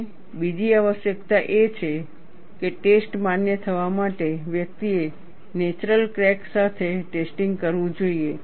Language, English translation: Gujarati, And another requirement is, for the test to be valid, one should do the test, with a natural crack